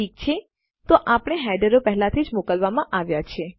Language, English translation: Gujarati, Okay so our headers have already been sent